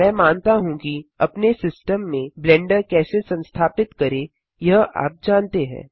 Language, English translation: Hindi, I assume that you already know how to install blender on your system